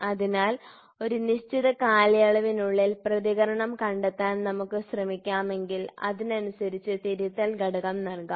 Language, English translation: Malayalam, So, if we can try to figure out the response over a period of time then accordingly the correction factor can be given